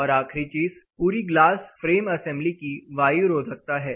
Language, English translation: Hindi, And the last thing is the air tightness of the glass frame assembly